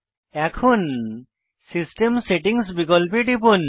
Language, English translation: Bengali, Now, click on System Settings option